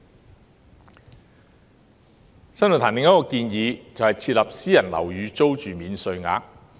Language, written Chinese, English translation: Cantonese, 新世紀論壇另一項建議是設立"私人樓宇租金免稅額"。, Another proposal put forth by the New Century Forum is the introduction of a private housing rental allowance